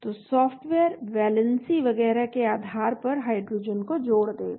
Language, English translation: Hindi, So the software will add hydrogen based on the valency and so on